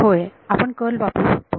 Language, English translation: Marathi, Yeah you can take the curl